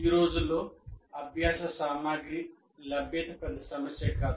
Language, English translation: Telugu, Generally these days availability of learning material is not a big issue